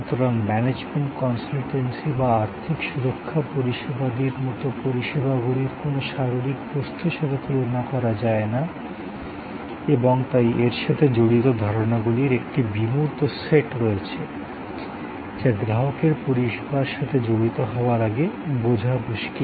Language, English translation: Bengali, So, services like management consultancy or financial security services cannot be compared with any physical object and therefore, there is an abstract set of notions involved, which are difficult to comprehend before the customer engages with the service